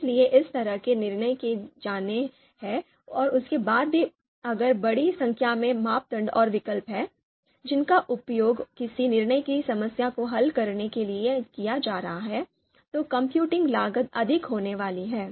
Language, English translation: Hindi, So those kind of decisions are to be made and even after that if there are many number of you know a number of criteria a large number of criteria and alternatives are going to be used in to solve decision problem, then the computing cost is going to be on the higher side